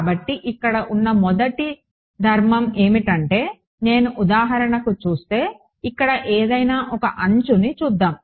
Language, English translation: Telugu, So, the first property over here is if I look at for example, any one edge over here let us look at T 1